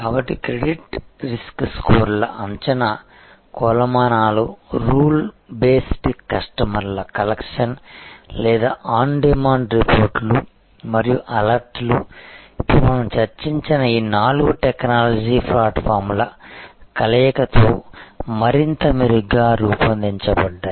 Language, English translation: Telugu, So, predictive metrics of credit risk scores are rule based customer collection or on demand reports and alerts this can be, now generated much better with the combination of this four technology platforms, that we discussed